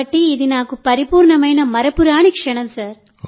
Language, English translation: Telugu, So it was perfect and most memorable moment for me